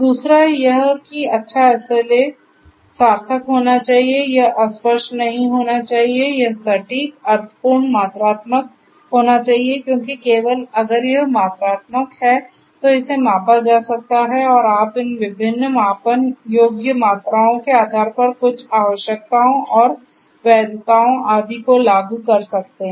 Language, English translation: Hindi, Second is that the good SLAs should be meaningful right, it should not be vague it should be precise meaningful quantifiable because only if it is quantifiable then it can be measured and you can enforce certain requirements and legalities etc